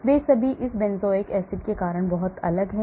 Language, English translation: Hindi, they are all very different because of this benzoic acid